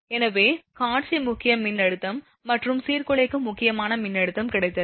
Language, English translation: Tamil, So, visual critical voltage and disruptive critical voltage we got